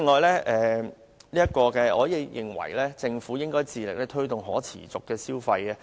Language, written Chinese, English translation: Cantonese, 另外，我認為政府應致力推動可持續消費。, Also I think that the Government should actively promote sustainable consumption